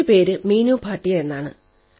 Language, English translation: Malayalam, My name is Meenu Bhatia